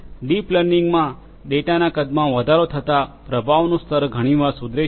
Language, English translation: Gujarati, In deep learning, the performance level often improves as the size of the data increases